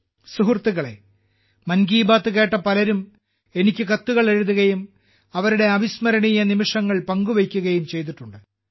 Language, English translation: Malayalam, Friends, many people who listened to 'Mann Ki Baat' have written letters to me and shared their memorable moments